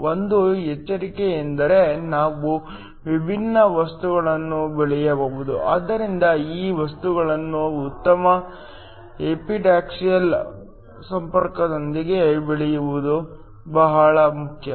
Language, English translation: Kannada, The 1 caveat is we have to grow different materials, so growing these materials with good epitaxial contact is very important